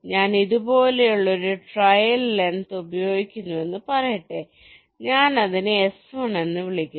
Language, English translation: Malayalam, let say i use a trail length like this: i call it s one